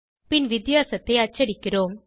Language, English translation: Tamil, Then we print the difference